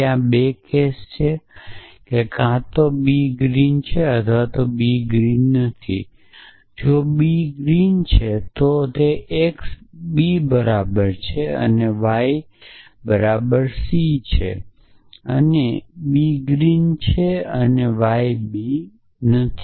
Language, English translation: Gujarati, So, there are 2 cases that either b is green or b is not green if b is green then x is equal to b and y is equal to c and b is on c and b is green and y is not b